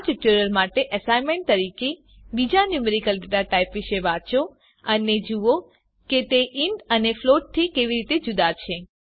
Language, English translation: Gujarati, As an assignment for this tutorial, Read about other numerical data types and see how they are different from int and float